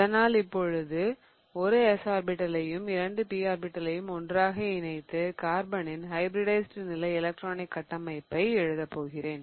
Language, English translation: Tamil, So, now let us combine one of these S and two of the P orbitals together to write down the hybridized state electronic configuration of carbon